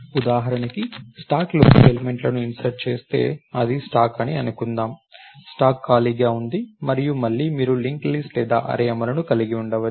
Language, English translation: Telugu, So, if I insert elements into the stack for example, suppose this is the stack, stack is empty and again you can have a link list or an array implementation